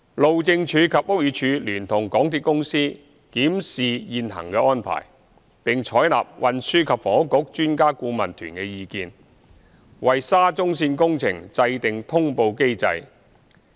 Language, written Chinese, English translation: Cantonese, 路政署及屋宇署聯同港鐵公司檢視現行安排，並採納運輸及房屋局專家顧問團的意見，為沙中線工程制訂通報機制。, The HyD BD and the MTRCL have jointly reviewed the existing arrangements and followed the advice from the SCL Expert Adviser Team EAT engaged by the Transport and Housing Bureau to set up an announcement mechanism for the SCL works